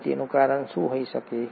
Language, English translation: Gujarati, Now what could be the reason